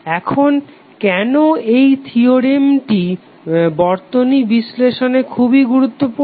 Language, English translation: Bengali, Now this theorem is very important in the circuit analysis why